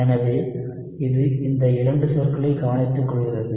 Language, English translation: Tamil, So, that takes care of these 2 terms